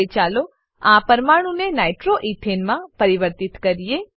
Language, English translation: Gujarati, Now let us convert this molecule to nitro ethane